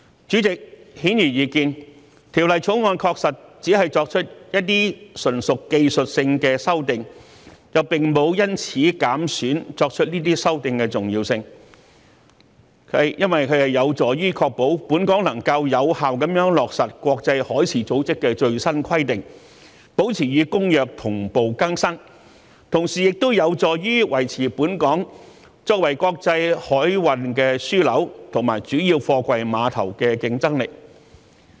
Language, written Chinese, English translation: Cantonese, 主席，顯而易見，《條例草案》確實只是作出一些純屬技術性的修訂，並沒有因此減損作出修訂的重要性，這有助於確保本港能夠有效地落實國際海事組織的最新規定，保持與《公約》同步更新，同時有助於維持本港作為國際海運樞紐和主要貨櫃碼頭的競爭力。, President it is quite obvious that the Bill only introduces some purely technical amendments but it does not reduce the importance of such amendments . These amendments will help to ensure the effective implementation of the latest requirements promulgated by IMO in Hong Kong and keep local legislation in tandem with the updates of the Convention . At the same time they will be conducive to helping Hong Kong maintain its competitiveness as an international shipping hub and major container port